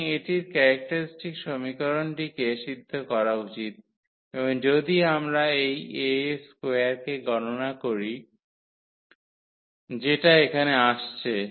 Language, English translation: Bengali, So, this should satisfy the characteristic equation and if we compute this A square that is coming to be here